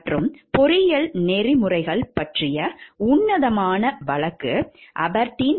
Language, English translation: Tamil, And the classic case on engineering ethics, the Aberdeen 3